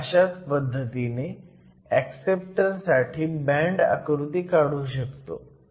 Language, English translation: Marathi, We can draw a similar band picture in the case of acceptors